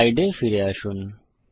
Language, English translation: Bengali, Come back to the slides